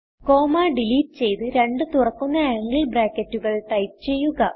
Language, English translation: Malayalam, Now delete the comma and type two opening angle brackets